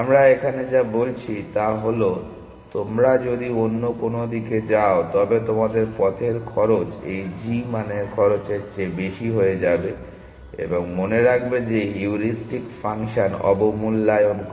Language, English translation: Bengali, All we are saying is that if you go of in some other direction your path cost will become more than the cost of this g value and remember that the heuristic function underestimate